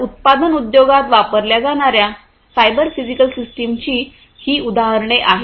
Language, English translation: Marathi, So, these would be examples of cyber physical systems for use in the manufacturing industry